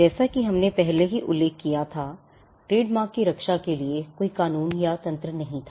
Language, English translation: Hindi, As we had already mentioned, there was no mechanism or law for protecting trademarks